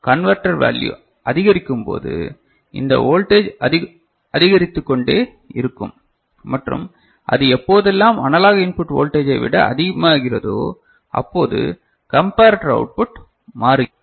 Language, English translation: Tamil, As counter value increases this voltage will keep increasing and whenever it exceeds; whenever it exceeds the analog input voltage, the comparator output changes right